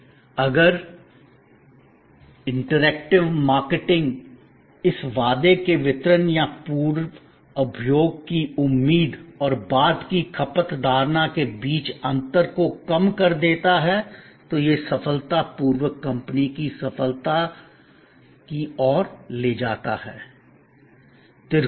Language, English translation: Hindi, And if this interactive marketing this delivery of the promise or narrowing of the gap between the pre consumption expectation and post consumption perception happen successfully it leads to the company success